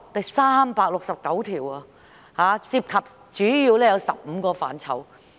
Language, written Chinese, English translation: Cantonese, 有369項，主要涉及15個範疇。, There are 369 amendments which mainly involve 15 areas